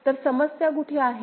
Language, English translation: Marathi, So, where is the problem